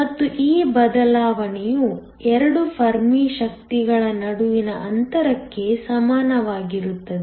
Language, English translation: Kannada, And, this shift is equal to the distance between the 2 Fermi energies